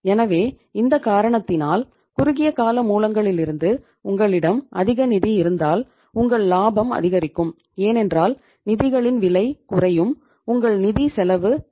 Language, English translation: Tamil, So because of that reason now we will see that if you uh have more funds from the short term sources in that case your profit will increase because cost of the funds will go down, your financial cost will go down